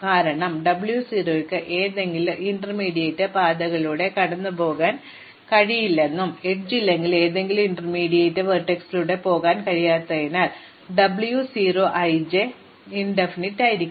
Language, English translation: Malayalam, Because, remember that W 0 cannot go through any intermediate paths and if there is no edge, since I cannot go through any intermediate vertex, W 0 i j must be infinity